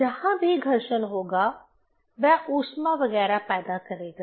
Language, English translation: Hindi, Wherever there will be friction, it will generate heat etcetera